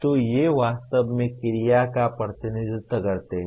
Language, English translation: Hindi, So these represent really action verbs